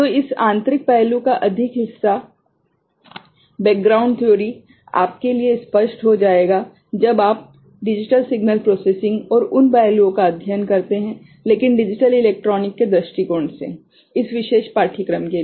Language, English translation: Hindi, So, more of this internal aspect of it, the background theory will be clearer to you; when you study digital signal processing and those aspect, but for this particular course from the digital electronics point of view